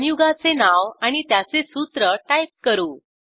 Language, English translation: Marathi, Lets enter name of the compound and its formula